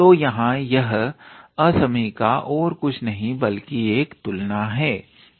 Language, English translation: Hindi, So, this here this inequality is nothing, but a comparison